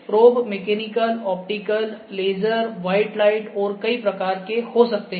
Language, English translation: Hindi, So, probes may be mechanical, optical, laser, white light and many such